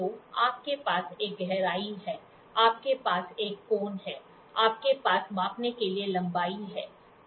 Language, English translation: Hindi, So, you have a depth, you have a depth, you have an angle, you have a length to measure